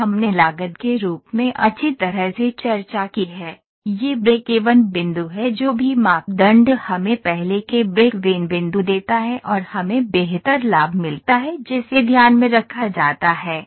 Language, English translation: Hindi, This I have discussed in costing as well, this is breakeven point whatever criteria gives us the earlier breakeven point and we get the better profit that is taken into account